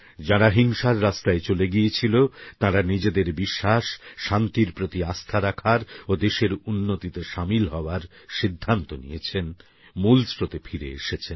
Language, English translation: Bengali, Those who had strayed twards the path of violence, have expressed their faith in peace and decided to become a partner in the country's progress and return to the mainstream